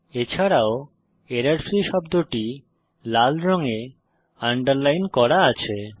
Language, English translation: Bengali, Also notice that the word errorfreeis underlined in red colour